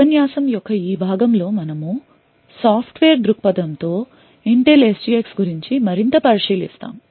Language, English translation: Telugu, In this part of the video lecture we will look at Intel SGX more from a software perspective